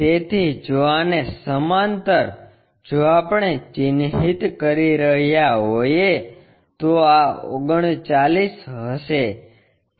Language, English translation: Gujarati, So, parallel to that if we are marking this will be 39